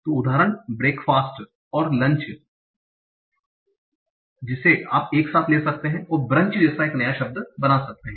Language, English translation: Hindi, So example is breakfast and lunch you take together and make a new word like brunch